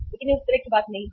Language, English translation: Hindi, But it is not a that kind of a thing